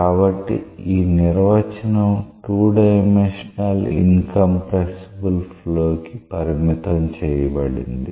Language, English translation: Telugu, So, this definition is restricted for a 2 dimensional incompressible flow